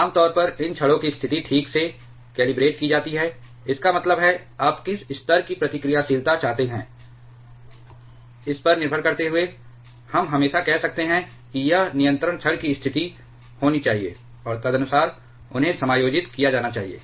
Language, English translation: Hindi, Generally, the position of these rods are properly calibrated that; that means, depending upon what level of reactivity you wants, we can always say that this is the this should be the position of the control rods and accordingly they are adjusted